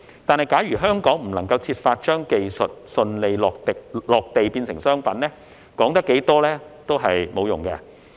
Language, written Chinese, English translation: Cantonese, 但是，假如香港未能設法將技術順利落地變成商品，說得再多也沒有用。, However if Hong Kong cannot find a way to commercialize technology smoothly there is no point in talking about it